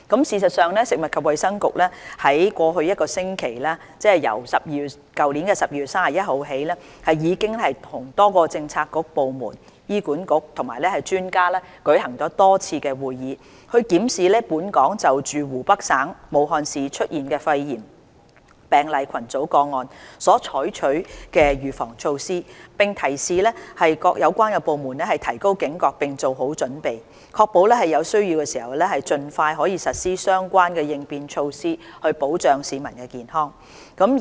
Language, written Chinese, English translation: Cantonese, 事實上，食物及衞生局於在過去一星期，即由去年12月31日起，已經與多個政策局、部門、醫院管理局及專家舉行多次會議，檢視本港就湖北省武漢市出現的肺炎病例群組個案所採取的預防措施，並提示各有關部門提高警覺並做好準備，確保在有需要時能盡快實施相關的應變措施，以保障市民的健康。, In fact the Food and Health Bureau has held a number of meetings with relevant Policy Bureaux departments the Hospital Authority HA and experts over the past week ie . since 31 December of last year to examine the prevention measures taken in Hong Kong in response to the cluster of pneumonia cases in Wuhan Hubei Province . Relevant departments have also been reminded to increase their vigilance and be well - prepared to ensure that relevant contingency measures could be implemented as early as possible when necessary to safeguard public health